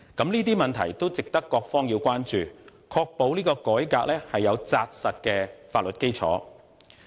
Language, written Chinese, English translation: Cantonese, 有關問題都值得各方關注，以確保這次改革有扎實的法律基礎。, The relevant issue should warrant various sides concern so as to ensure that the reform this time around is founded on a solid legal basis